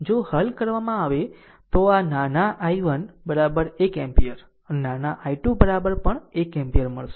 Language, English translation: Gujarati, If you solve, you will get small i 1 is equal to one ampere and small i 2 is equal to also 1 ampere